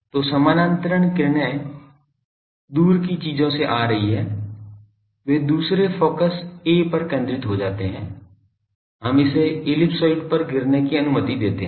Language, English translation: Hindi, So, parallel rays are coming from distance things then, they gets focused at the other focus A, we allow that to proceed fall on this ellipsoid